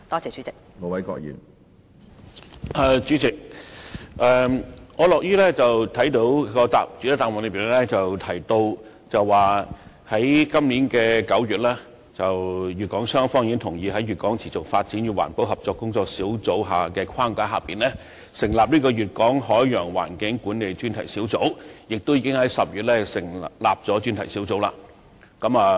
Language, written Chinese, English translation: Cantonese, 主席，我樂於看到主體答覆中提及，粵港雙方於2016年9月同意在粵港持續發展與環保合作工作小組的框架下成立粵港海洋環境管理專題小組，而該專題小組亦已在10月正式成立。, President I am glad to note that as stated in the main reply Hong Kong and Guangdong agreed in September 2016 to set up the Special Panel under the framework of the Working Group and that the Special Panel has been formally set up in October